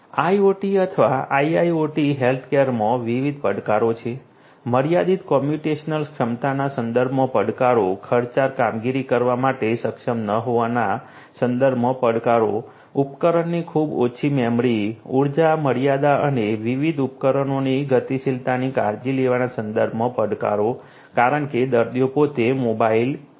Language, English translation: Gujarati, IoT or IIoT healthcare as different challenges; challenges with respect to limited computational capability, not being able to perform expensive operations, challenges with respect to having very less device memory, energy limitation and also taking care of the mobility of these different devices because the patients themselves are mobile